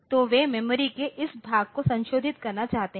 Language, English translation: Hindi, So, it wants to modify they want to modify this portion of the memory